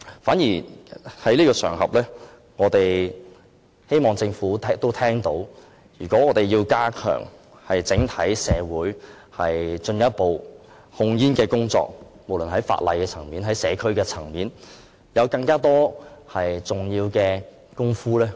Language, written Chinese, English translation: Cantonese, 趁此機會，我們希望政府明白，如果我們要在整體社會加強進一步的控煙工作，無論在法例或社區層面上，都有很多重要工作。, I would like to take this opportunity to tell the Government we hope it can understand that a lot of important work has to be done if we are to further step up tobacco control in society as a whole at the legal or social level